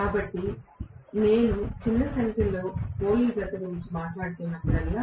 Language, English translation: Telugu, So, whenever I am talking about smaller number of poles